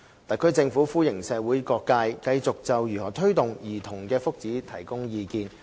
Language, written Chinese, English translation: Cantonese, 特區政府歡迎社會各界繼續就如何推動兒童的福祉提供意見。, The SAR Government welcomes the various sectors of the community to keep voicing their views on ways to promote childrens well - being